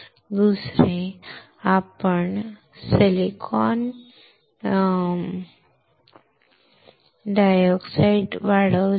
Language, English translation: Marathi, Second, what we have grown silicon dioxide